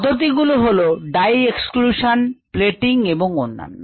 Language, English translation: Bengali, the methods are dye, exclusion, plating and others